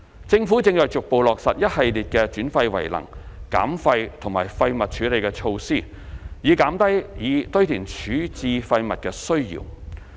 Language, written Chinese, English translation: Cantonese, 政府正逐步落實一系列的轉廢為能、減廢及廢物處理措施，以減低以堆填處置廢物的需要。, The Government is progressively implementing a series of waste - to - energy waste reduction and waste disposal measures in order to reduce the need for disposing waste by landfill